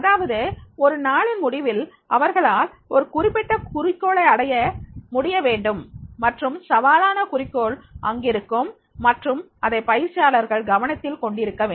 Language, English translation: Tamil, That is the end of the day they should be able to achieve that particular goal and that is a challenging goal is there and that that that should be get noticed by the trainees